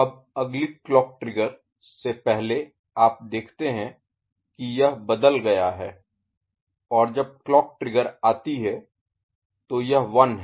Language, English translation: Hindi, Now, before the next clock trigger you see that it has changed and when the clock trigger comes it is 1 ok